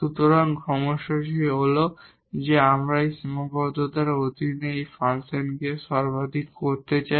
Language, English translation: Bengali, So, the problem is that we want to minimize maximize this function subject to this constraint